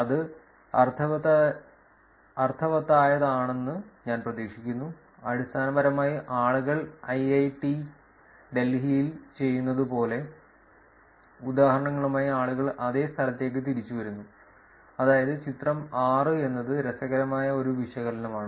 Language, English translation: Malayalam, I hope that is making sense essentially the conclusion there is that people come back to that same location with the examples like me doing it in IIIT Delhi, that is figure 6 that is an interesting analysis